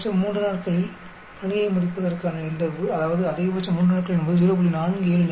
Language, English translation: Tamil, So, the probability of finishing it in 3 at most in 3 days is 0